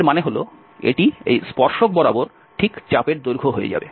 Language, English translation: Bengali, That means, along this tangent will become exactly the arc length